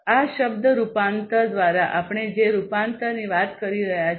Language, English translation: Gujarati, Conversion we are talking about by this term conversion